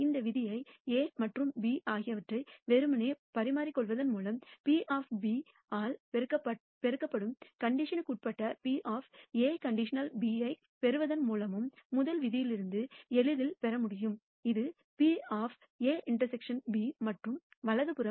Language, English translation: Tamil, This rule can be easily derived from the first rule by simply interchanging A and B and deriving the conditional probability of A given B multiplied by probability of B, which is the A inter section B and right hand side